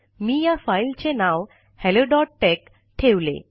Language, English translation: Marathi, I have named the file hello.tex